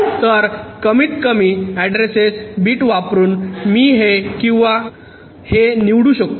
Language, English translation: Marathi, so by using the list address bit i can select either this or this